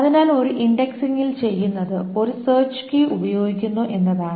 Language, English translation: Malayalam, So what is being done in an indexing is a search key is used